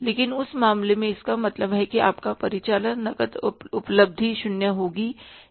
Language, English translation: Hindi, But in that case means your operating cash available will be zero